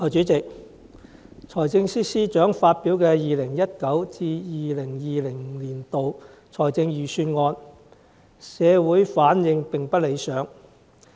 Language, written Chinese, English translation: Cantonese, 代理主席，財政司司長發表的 2019-2020 年度財政預算案，社會反應並不理想。, Deputy President regarding the 2019 - 2020 Budget released by the Financial Secretary society has not responded to it positively